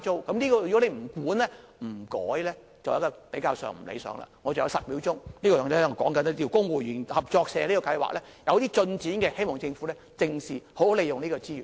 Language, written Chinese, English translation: Cantonese, 我還有10秒時間，我想說一說公務員合作社計劃，這計劃有些進展，希望政府正視，好好利用這個資源。, With 10 seconds left I would like to talk about the Civil Servants Co - operative Building Societies Scheme . The scheme is making some progress . I hope the Government can pay more attention to it to make good use of the resources